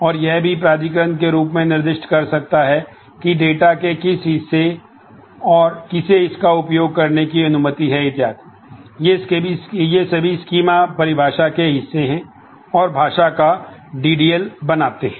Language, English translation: Hindi, And it could also specify the authorization as to who is allowed to access which part of the data and so on, so that is these all are part of the schema definition and forms the DDL of the language